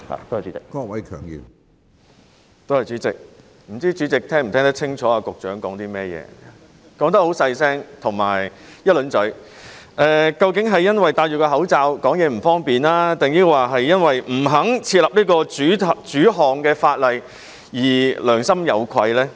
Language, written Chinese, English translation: Cantonese, 不知主席是否聽得清楚局長剛才在說甚麼，他的聲量很小，而且說得很快，是因為戴上口罩令說話不便，還是因為他不肯訂立專項法例而良心有愧呢？, President I wonder if you could catch what the Secretary was saying just now . He spoke so softly and fast . Was it because he had put on a mask which caused him troubles in speaking or he felt ashamed of his refusal to introduce a specific piece of legislation?